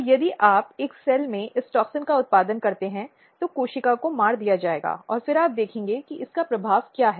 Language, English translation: Hindi, So, if you produce this toxins in a cell, the cell will be killed and then you see what is the effect